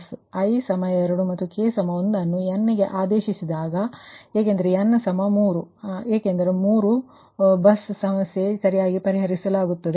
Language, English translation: Kannada, so put, i is equal to two and k is equal to one, two, n because n is equal to three, because there are three bus problem are solving right